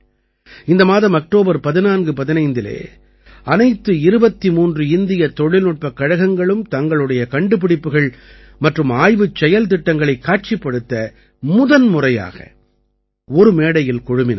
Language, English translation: Tamil, This month on 1415 October, all 23 IITs came on one platform for the first time to showcase their innovations and research projects